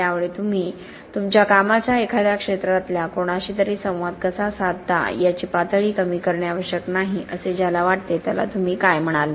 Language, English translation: Marathi, So what would you say to someone who feels that it is not necessary to dilute or to bring down the level of how you communicate your work to someone in the field